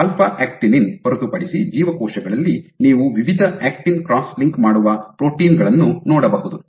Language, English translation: Kannada, So, in cells apart from alpha actinin So, you have various actin cross linking proteins